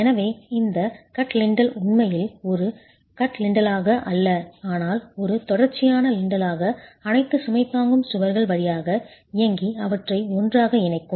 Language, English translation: Tamil, So, this cut lintel would actually be effective not as a cut lintel but as a continuous lintel running through all the load bearing walls and connecting them together